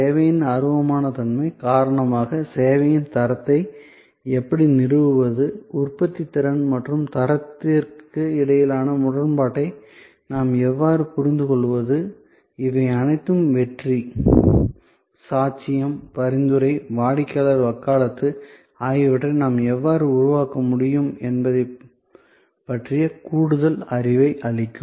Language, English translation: Tamil, The intangible nature of service and therefore, how do we establish quality of service, how do we understand the paradox between productivity and quality, all these will give us further knowledge about how we can create success, testimony, referral, customer advocacy